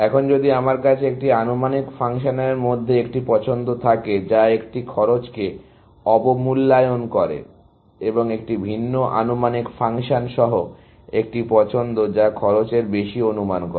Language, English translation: Bengali, Now, if I had a choice between an estimating function, which underestimates a cost, and a choice with a different estimation function, which over estimates the cost